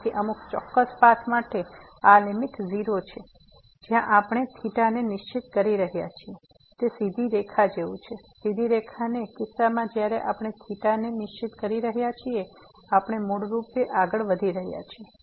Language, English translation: Gujarati, So, in some particular path this limit is 0; where we are fixing the theta it is like the straight line in the case of the straight line when we are fixing the theta, we are basically approaching towards